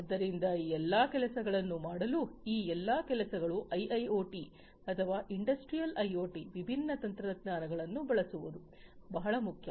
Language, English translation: Kannada, So, all these things for doing all of these things it is very important to use these different technologies like IIoT or Industrial IoT